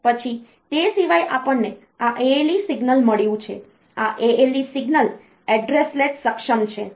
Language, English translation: Gujarati, Then apart from that we have got this this ALE signal, this ALE signal is address latch enable